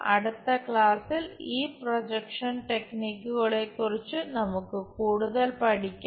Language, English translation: Malayalam, In the next class we will learn more about these projection techniques